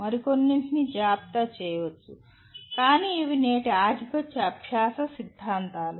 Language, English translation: Telugu, There can be, one can maybe list some more but these are the present day dominant learning theories